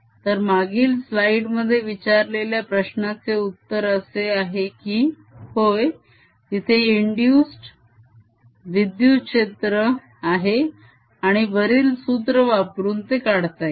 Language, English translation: Marathi, so to answer that i placed in the previous slide is yes, there is an induced electric field and can be calculated using the formula